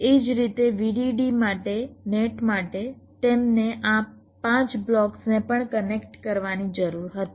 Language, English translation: Gujarati, similarly, for the net, for vdd, they also needed to connect this five blocks